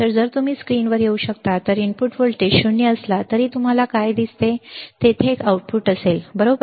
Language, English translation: Marathi, So, if you can come on the screen what do you see is even though the input voltage is 0, there will be an output, right